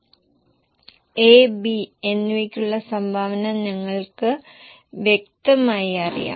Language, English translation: Malayalam, We know the contribution individually for A and B